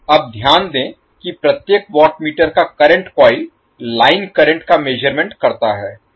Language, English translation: Hindi, Now notice that the current coil of each watt meter measures the line current